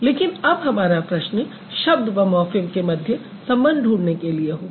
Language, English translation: Hindi, But now our question would be to find out what is the relation between a word and a morphem